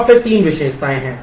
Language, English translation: Hindi, And then there are three attributes